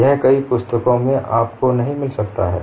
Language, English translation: Hindi, You may not find in many books